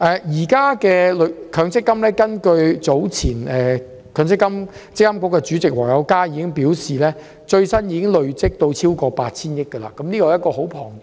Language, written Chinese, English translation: Cantonese, 積金局主席黃友嘉早前表示，最新的強積金總資產已累積超過 8,000 億元，數字很龐大。, The Chairman of MPFA David WONG has earlier revealed that the latest figure of the total amount of MPF assets is over 800 billion . This is a very enormous figure